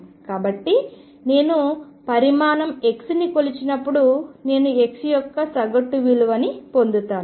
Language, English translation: Telugu, So, let us see if I am making a measurement of quantity x then I do get an average value x